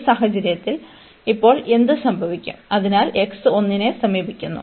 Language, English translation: Malayalam, In this case what will happen now, so limit x approaching to 1